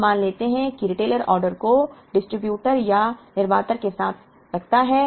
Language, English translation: Hindi, Now, let us assume that the retailer places an order with either a distributer or a manufacturer